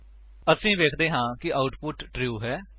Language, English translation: Punjabi, We see that the output is true